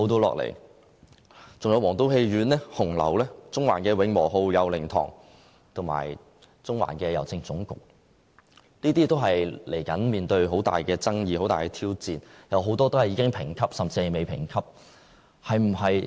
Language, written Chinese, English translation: Cantonese, 還有皇都戲院、紅樓、中環的"永和號"、佑寧堂，以及中環的郵政總局，這些接着也要面對很大的爭議，是很大的挑戰，有很多已經被評級，甚至未被評級。, Besides the fate of the historic buildings of State Theatre Hung Lau the Wing Woo Grocery Shop in Central the Kowloon Union Church and the General Post Office in Central is set to arouse great controversy in society and pose tough challenge to us . Among them some have been graded and some have yet to be assessed